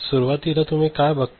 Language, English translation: Marathi, So, initially what you see